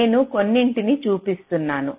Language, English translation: Telugu, i am just showing a few